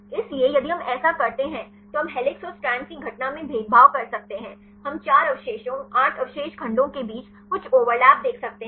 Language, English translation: Hindi, So, if do so, we can discriminate the occurrence of helices and strands, we can see some overlap between 4 residues 8 residues segment